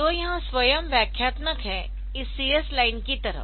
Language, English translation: Hindi, So, this is self explanatory like this CS line